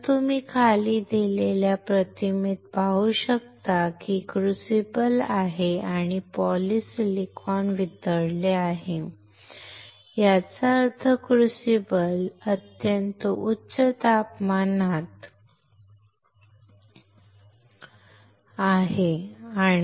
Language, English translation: Marathi, So, you can see here in the image below there is a crucible and the polysilicon is melted; that means, the crucible is at extremely high temperature